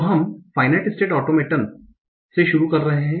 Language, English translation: Hindi, So what is a final state automaton